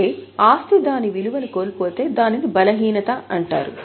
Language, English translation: Telugu, That means if asset loses its value it is called as impairment